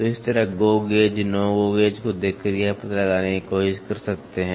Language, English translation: Hindi, So, that is how by looking at the GO gauge no GO gauge you can try to figure it out